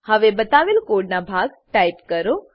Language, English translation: Gujarati, Now type the piece of code shown